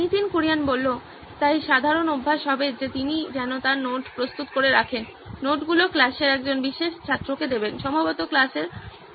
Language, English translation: Bengali, So the common practice would be that she would have her notes prepared, give the notes to one particular student in the class, probably the prefect of the class